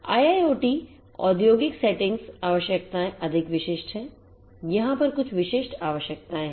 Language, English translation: Hindi, IIoT industrial settings industrial IoT requirements are more specific there are certain specific requirements over here